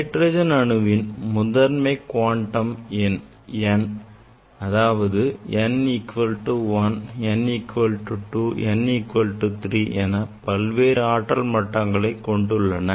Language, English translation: Tamil, this for hydrogen atom we know this it s the principle quantum number n that is n equal to 1 n equal to 2 n equal to 3